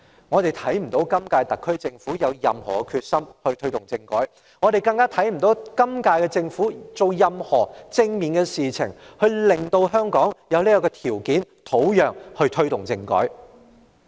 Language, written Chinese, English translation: Cantonese, 我們不見今屆特區政府有何決心推動政改，我們更不見今屆政府做任何正面的事情，來令香港具備這個條件和土壤推動政改。, We do not see the SAR Government of the current term showing any determination to take forward the constitutional reform . Neither have we seen the Government of the current term taking any positive actions to create the conditions and prepare the soil for implementing constitutional reform in Hong Kong